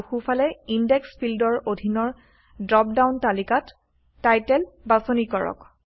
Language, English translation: Assamese, And choose Title in the drop down list under the Index field on the right